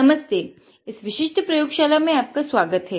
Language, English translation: Hindi, Hi, welcome to this particular experimenting class